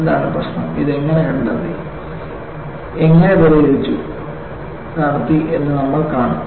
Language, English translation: Malayalam, And we will see, what was the problem and how this was diagnosed and solved